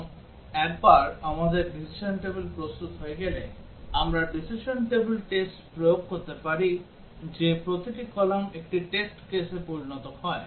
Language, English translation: Bengali, And once we have the decision table ready, we can apply the decision table testing that each column becomes a test case